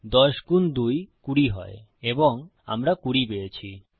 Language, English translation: Bengali, 10 times 2 is 20 and weve got 20